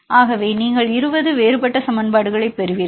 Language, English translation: Tamil, So, you get 20 differential equations